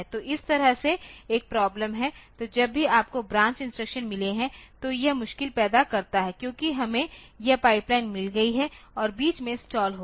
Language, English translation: Hindi, So, that way there is a problem so, whenever you have got branch instructions so, it creates difficulty, because we have got this pipeline has to be stalled in between